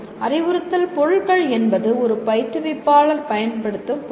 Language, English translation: Tamil, Instructional materials are what an instructor uses